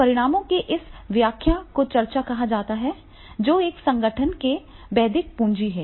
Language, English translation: Hindi, Now this interpretation of results that is called a discussion and that is the intellectual capital of an organization